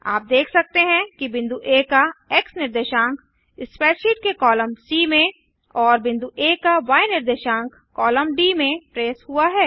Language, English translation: Hindi, You can see that the x coordinate of point A is traced in column C of the spreadsheet and y coordinate of point A in column D